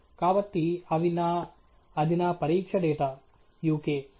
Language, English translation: Telugu, So, those are my… that’s my test data uk